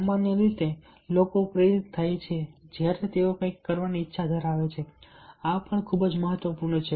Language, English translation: Gujarati, usually people get motivated when there is a willingness to do something